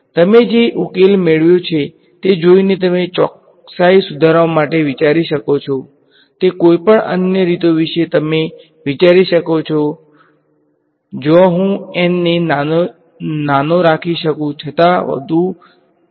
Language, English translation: Gujarati, Any other ways that you can think of improving accuracy looking at the solution that I have obtained can you think of some other cleverer way where I can keep n small yet get a more accurate solution